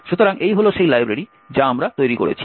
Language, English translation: Bengali, So, this is the library we create